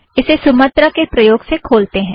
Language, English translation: Hindi, Open it using Sumatra